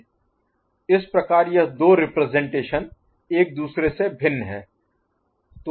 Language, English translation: Hindi, So, this is the way these two representations differ from each other